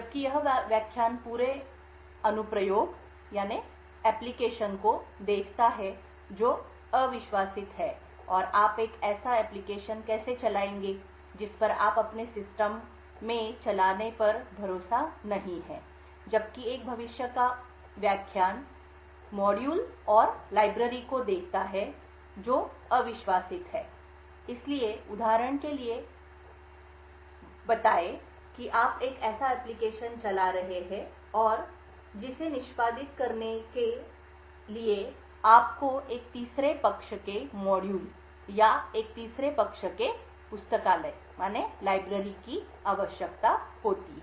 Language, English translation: Hindi, While this lecture looks at the entire application that is untrusted and how you would run an application which you do not trust in your system while a future lecture would look at modules and libraries which are untrusted, so for example let us say that you are running an application and you use a third party module or a third party library which is needed for that application to execute